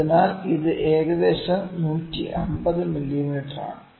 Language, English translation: Malayalam, So, this is about 150 mm